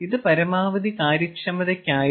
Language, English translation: Malayalam, so this was for maximum efficiency, all right